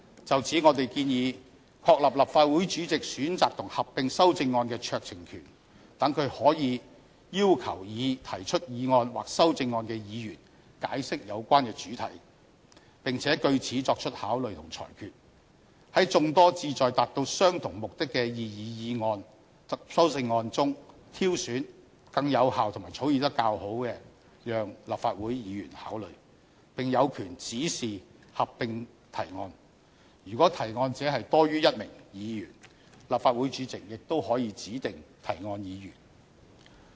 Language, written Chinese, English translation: Cantonese, 就此，我們建議確立立法會主席選擇及合併修正案的酌情權，讓他可以要求擬提出議案或修正案的議員解釋有關的主題，並且據此作出考慮和裁決，在眾多旨在達到相同目的擬議議案及修正案中，挑選更有效和草擬較佳的讓立法會議員考慮，並有權指示合併提案；如果提案者多於1名議員，立法會主席亦可以指定提案議員。, In this connection we propose that the President of the Legislative Council be given the discretion to select and combine amendments so that when he considers or rules on a motion or amendment he can request the proposing Member to explain the subject matter of his motion or amendment and select more effectively and better drafted ones from the multitude of cognate motions and amendments for consideration by Members . We also propose that the President be given the power to direct motions or amendments to be combined; and in the event that there are more than one Member proposing the motions or amendments to be combined the President may designate which Member to propose them